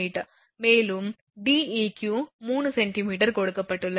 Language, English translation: Tamil, And Deq is given 3 meter Deq is given